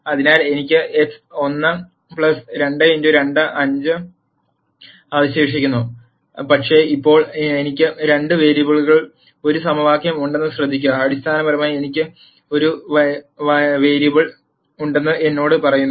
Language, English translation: Malayalam, So, I am just left with x 1 plus 2 x 2 equal to 5, but now notice that I have one equation in two variables, that basically tells me I have one free variable